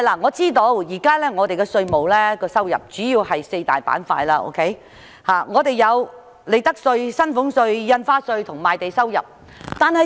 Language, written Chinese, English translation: Cantonese, 我知道香港現時的稅務收入主要分為四大板塊，計為利得稅、薪俸稅、印花稅及賣地收入。, I am aware that at present Hong Kongs tax revenue is divided into four major segments namely profits tax salaries tax stamp duties and land sale proceeds